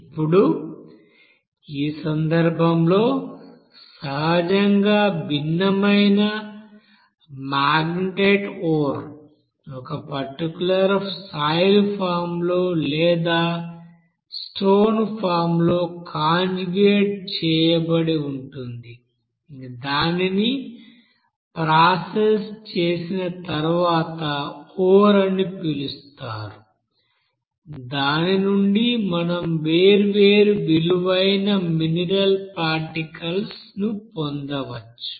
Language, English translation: Telugu, Now in this case it is given that a you know magnetite ore you know that in different you know naturally occurring different you know compound conjugated in a particular you know soil form or stone form where it is called that you know ore and from where this ore after processing we can get different you know valuable mineral particles